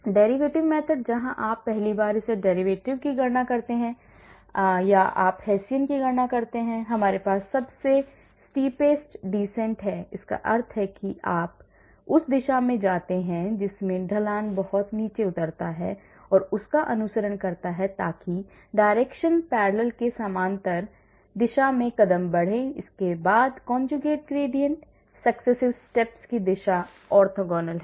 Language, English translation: Hindi, the derivative method where you first calculate the first derivative, or you calculate Hessian we have the steepest descent that means you take the direction in which the slope descends very very steep and follow that so moves are made in the direction parallel to the net force and then we have conjugate gradient